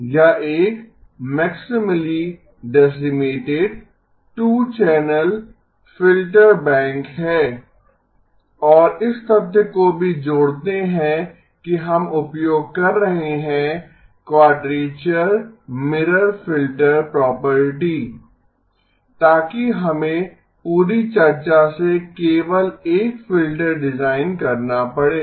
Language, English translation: Hindi, It is a maximally decimated 2 channel filter bank and also add to it the fact that we are using quadrature mirror filter property so that we have to design only one filter from the entire discussion